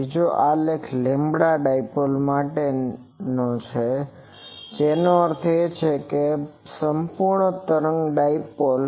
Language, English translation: Gujarati, The second graph is for a lambda dipole that means full wave dipole